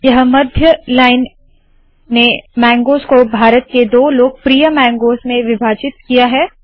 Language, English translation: Hindi, So this central line has split the mangoes into two of the most popular mangoes in India